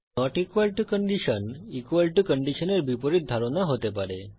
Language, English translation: Bengali, The not equal to condition can be thought of as opposite of equal to condition